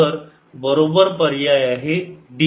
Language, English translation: Marathi, so the correct option is d